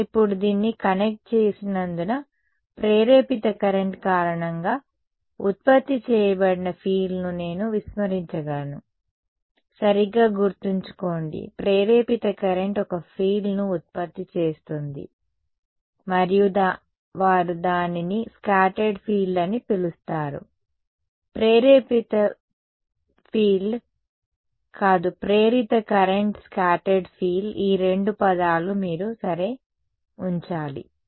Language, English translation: Telugu, It is not that because I connected this now I can ignore these the induce the field produced due to induced current; remember right, induced current produces a field and they call it as scattered field, not induced field induced current scattered field these are the two terms you should keep ok